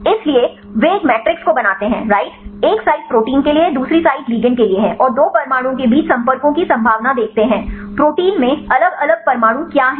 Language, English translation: Hindi, So, they make a matrix right one side is for the protein other side is for the ligand, and see the possibility or probability of contacts between two atoms, what are different atoms in protein